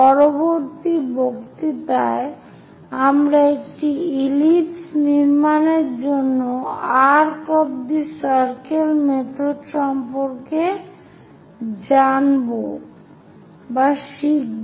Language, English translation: Bengali, In the next lecture, we will learn about arc of circles methods to construct an ellipse